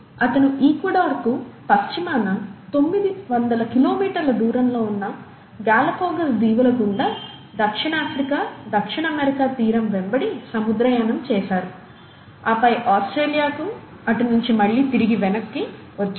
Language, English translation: Telugu, He went on a voyage along the coast of South Africa, South America through the Galapagos Islands, which are about nine hundred kilometers west of Ecuador, and then all the way to Australia and back